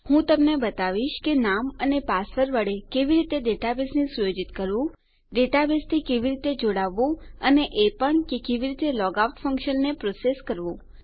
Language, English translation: Gujarati, Ill show you how to set up a database with your user name and password, how to connect to a database and also to process a logout function